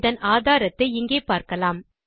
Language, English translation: Tamil, You can just see evidence of this here